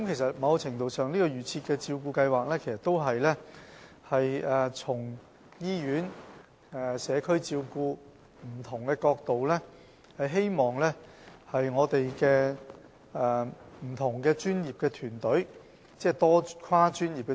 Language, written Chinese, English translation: Cantonese, 在某程度上來說，"預設照顧計劃"是從醫院、社區照顧等不同層面，透過我們的跨專業團隊提供服務。, To a certain extent the Advance Care Planning seeks to provide services through our multi - disciplinary teams from various aspects like hospital care and community care